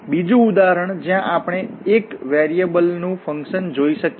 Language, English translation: Gujarati, Another example where we can see the function of one variable